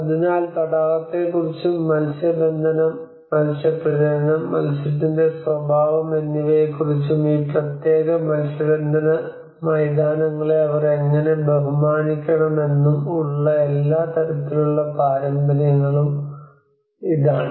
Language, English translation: Malayalam, So this is all kind of intangible traditions where certain understanding of the lake, and the fishing, fish breedings and the nature of fish and how they have to respect these particular fishing grounds